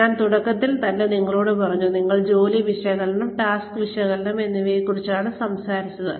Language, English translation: Malayalam, I told you in the very beginning, we were talking about job analysis, and task analysis